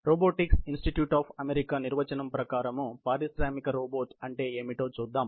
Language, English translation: Telugu, Let us look at some definition of what is an industrial robot according to the robotics institute of America